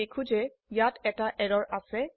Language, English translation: Assamese, we see that there is an error